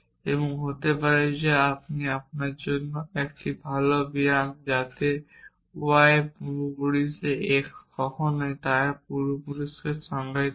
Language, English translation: Bengali, And maybe that is a good exercise for you to define the ancestor of so when is an x in ancestor of y